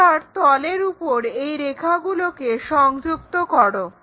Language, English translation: Bengali, Now, join these lines onto that plane